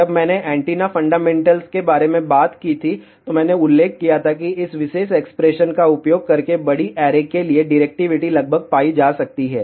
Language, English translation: Hindi, When I talked about the antenna fundamentals, I had mentioned that for larger array directivity can be approximately found by using this particular expression